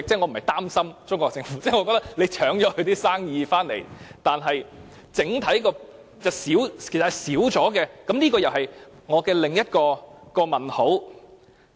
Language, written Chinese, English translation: Cantonese, 我不是擔心中國政府，我覺得本港搶去了它的生意，整體上是減少了，這又是我的另一個問題。, I do not worry about the Chinese Government but I think the total tax revenue will decrease if Hong Kong draws away the business from Mainland China . This is another question I have in mind